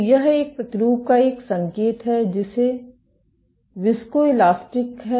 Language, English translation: Hindi, So, this is an indication of a sample which is viscoelastic